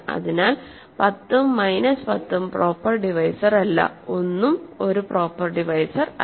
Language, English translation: Malayalam, So, 10 and minus 10 are not proper divisors, 1 is not a proper divisor